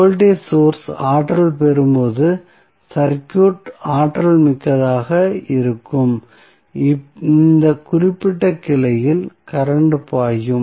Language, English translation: Tamil, So, when this will be energized, the circuit will be energized, the current will flow in this particular branch